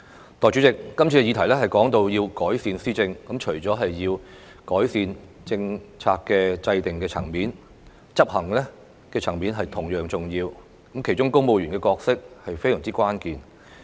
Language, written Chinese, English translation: Cantonese, 代理主席，今次涉及的議題是改善施政，這除了包括政策制訂層面的改善之外，執行層面也同樣重要，而當中公務員的角色可說非常關鍵。, Deputy President the subject involved in the current discussion is improving governance and in addition to improvements to policy formulation policy execution is equally important with civil servants playing a crucial role in this respect